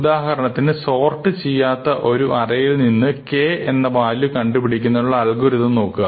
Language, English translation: Malayalam, So, let us look at a simple algorithm here which is looking for a value k in an unsorted array A